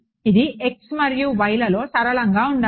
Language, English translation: Telugu, It should be linear in I mean in x and y